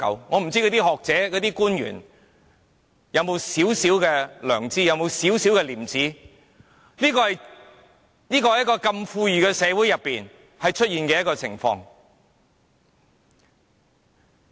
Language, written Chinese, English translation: Cantonese, 我不知道學者和官員有沒有少許良知和廉耻，在如此富裕的社會中竟然出現這種情況。, I do not know whether the scholars and public officers still have any sense of right and wrong or shame . How come this will happen in our affluent society?